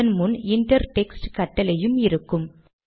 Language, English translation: Tamil, This can be achieved using the inter text command